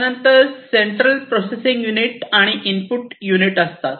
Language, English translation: Marathi, Then you have the central processing unit and the input and output